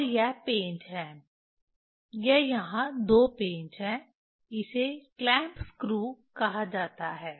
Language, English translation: Hindi, And there are screw this, this two screws are there it is called clamp screw